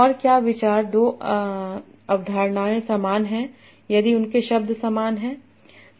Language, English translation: Hindi, Two concepts are similar if their glosses contain similar words